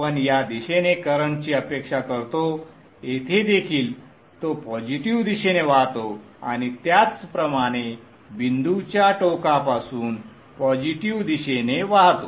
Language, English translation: Marathi, We are expecting the current to flow in this direction, here also it flows into the positive and likewise from the dot end into the positive